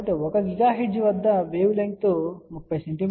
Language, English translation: Telugu, So, at 1 gigahertz wave length will be 30 centimeter